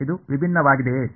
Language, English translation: Kannada, Is it differentiable